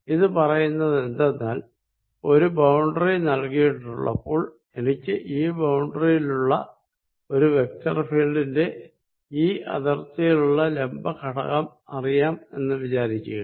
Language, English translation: Malayalam, And what it states is given a boundary, suppose I know the perpendicular component off a field any vector field at the boundary